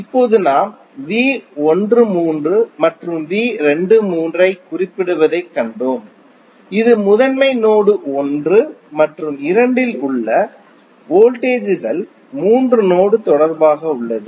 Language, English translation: Tamil, Now, we have seen that we are mentioning V 13 and V 23 that is the voltages at principal node 1 and 2 with respect to node 3